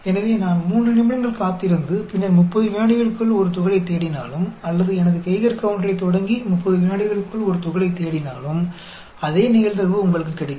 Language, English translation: Tamil, So, whether I wait for 3 minutes, and then look for a particle within 30 seconds, or I start my Geiger counter, and look for a particle within 30 seconds, you will get the same probability